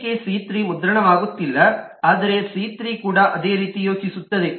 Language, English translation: Kannada, c3, for now, is not printing, but c3 also thinks the same way